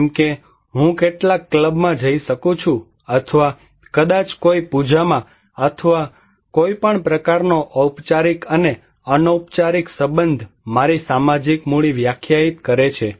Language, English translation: Gujarati, Like I can go to some club or maybe in a puja or in so any kind of formal and informal relationship defines my social capital